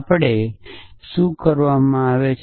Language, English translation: Gujarati, So, we so what are we done